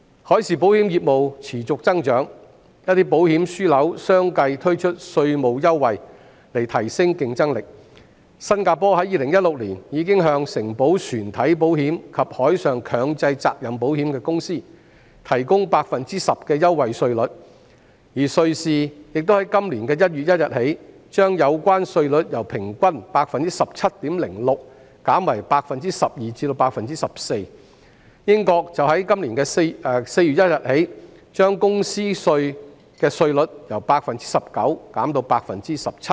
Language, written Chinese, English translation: Cantonese, 海上保險業務持續增長，一些保險樞紐相繼推出稅務優惠，以提升競爭力，新加坡在2016年已經向承保船體保險及海上強制責任保險的公司提供 10% 的優惠稅率，而瑞士亦自今年1月1日起，將有關稅率由平均 17.06%， 減為 12% 至 14%， 英國則自今年4月1日起，將公司稅的稅率由 19% 減至 17%。, As the marine insurance business continues to grow some insurance hubs have successively introduced tax concessions to enhance their competitiveness . In 2016 Singapore provided a 10 % preferential tax rate to companies that underwrite hull insurance and compulsory marine liability insurance . Switzerland has reduced the relevant tax rate from an average of 17.06 % to 12 % to 14 % since 1 January this year and the United Kingdom has reduced the corporate tax rate from 19 % to 17 % starting from 1 April this year